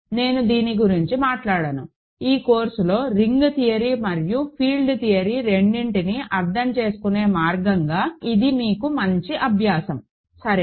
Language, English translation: Telugu, So, I will not talk about this, this is a good exercise for you to do as a way of understanding both the ring theory and the field theory part of this course, ok